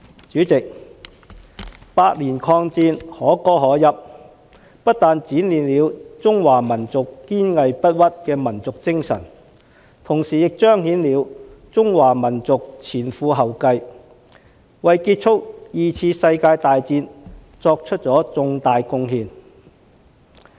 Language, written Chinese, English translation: Cantonese, 主席，八年抗戰，可歌可泣，不但展現了中華民族堅韌不屈的民族精神，同時亦彰顯了中華民族前赴後繼，為結束二次世界大戰作出重大貢獻。, President the war of resistance which lasted for eight years was heroic and laudable demonstrating not only the resilience of the Chinese nation but also the significant contribution of Chinese people in fighting dauntlessly to end the World War II